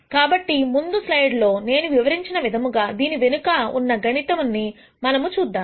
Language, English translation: Telugu, Now, let us see the mathematics behind whatever I described in the previous slide